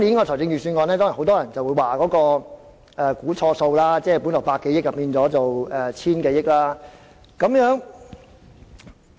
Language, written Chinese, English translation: Cantonese, 第一點是很多人說今年的預算案"估錯數"，盈餘多了百多億元，達千多億元。, First many people have commented on the wrong estimate made in the Budget this year where the actual surplus of 100 - odd billion exceeds the estimated surplus by 10 - odd billion